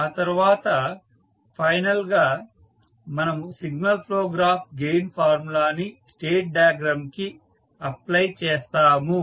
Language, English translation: Telugu, And then we finally apply the signal flow graph gain formula to the state diagram